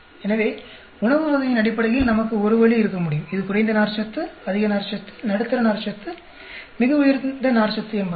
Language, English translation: Tamil, So, we could have one way based on the type of food whether it is a low fiber, high fiber, medium fiber, very high fiber